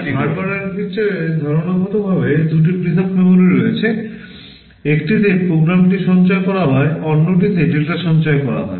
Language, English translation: Bengali, But in Harvard architecture conceptually there are two separate memories; in one you store the program, in another you store the data